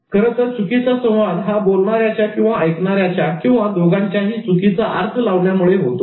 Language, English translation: Marathi, Miscommunication actually happens because of the misperception between either the sender or the receiver or both